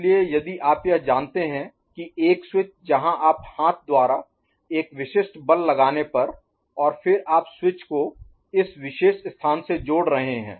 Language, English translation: Hindi, So, if you look at this you know, a switch where you are applying a specific force by hand and all, and then you are connecting the switch to this particular place